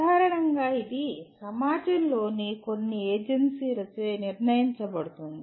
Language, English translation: Telugu, Generally that is decided by some agency of the society